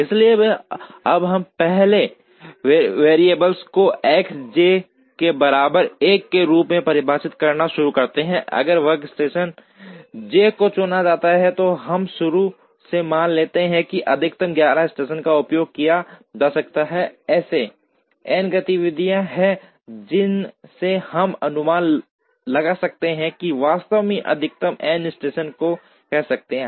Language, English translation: Hindi, So, we now start defining the first variable as S j equal to 1, if workstation j is chosen, we initially assume that a maximum of 11 stations can be used, there are n activities we would assume that a maximum of n stations can actually provide us a feasible solution